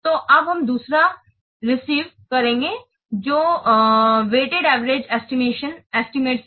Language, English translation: Hindi, So now we will see the second one that is weighted average estimates